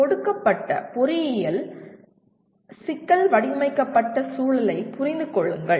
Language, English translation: Tamil, Understand the context in which a given engineering problem was formulated